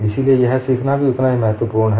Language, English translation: Hindi, So learning this is equally important